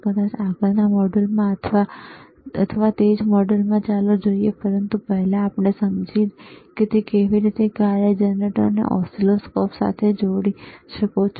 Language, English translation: Gujarati, pProbably in the next module or in the same module let us see, but first let us understand how you can connect the function generator to the oscilloscope